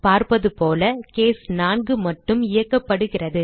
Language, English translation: Tamil, As we can see, now only case 4 is executed